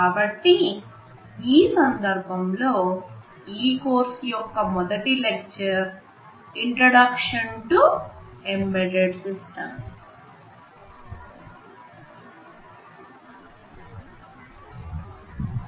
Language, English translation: Telugu, So, in this context the first lecture of this course, is titled Introduction to Embedded Systems